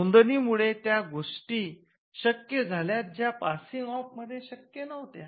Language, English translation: Marathi, Now, registration did something which passing off could not do